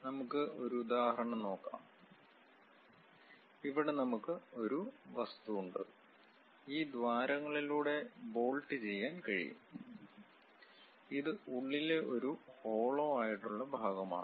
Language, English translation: Malayalam, Let us take an example, here we have an object; these are the holes through which it can be bolted and this is a hollow portion inside and we have a slight taper on that side